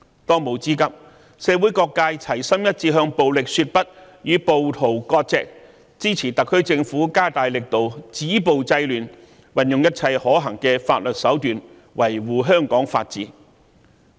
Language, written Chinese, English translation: Cantonese, 當務之急，是社會各界齊心一致向暴力說不，與暴徒割席，支持特區政府加大力度止暴制亂，運用一切可行法律手段，維護香港法治。, The most pressing task now is for all sectors of the community to act in unison and say no to violence sever ties with rioters support the SAR Government to step up its efforts in stopping violence and curbing disorder and employ every feasible legal means to safeguard the rule of law in Hong Kong